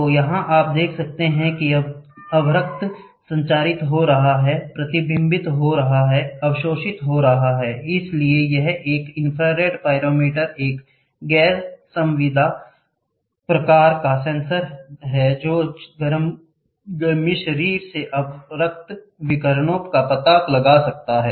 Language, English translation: Hindi, So, here you can see the infrared getting transmitted, getting reflected, getting absorbed, right; so it so an infrared pyrometer is a non contact type sensor that can detect infrared radiation from the heating body